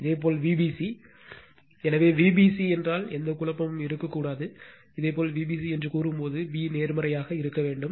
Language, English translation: Tamil, Similarly, V b c right; So, V b c means there should not be any confusion, when you say V b c that b should be positive